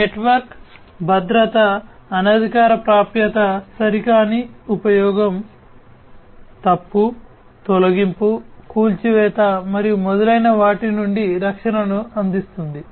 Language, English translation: Telugu, So, network security would provide protection from unauthorized access, improper use, fault, deletion, demolition, and so on